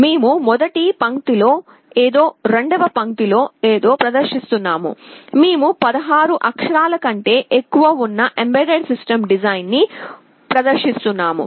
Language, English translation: Telugu, We are displaying something on first line, something on second line, we are displaying EMBEDDED SYSTEM DESIGN, which is more than 16 character